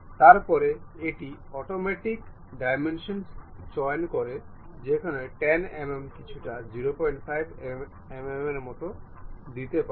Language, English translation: Bengali, Then it picks automatic dimensions where 10 mm you can really give it something like 0